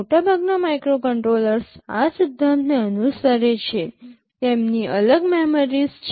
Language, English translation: Gujarati, Most of the microcontrollers follow this principle; they have separate memories